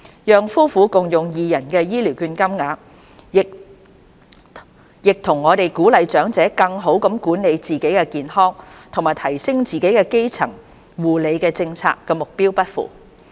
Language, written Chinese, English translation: Cantonese, 讓夫婦共用二人的醫療券金額，亦與我們鼓勵長者更好地管理自己的健康和提升自己基層護理的政策目標不符。, Allowing elders to share their voucher amounts is also misaligned with our policy objectives to encourage elders to better manage their own health and improve their primary health care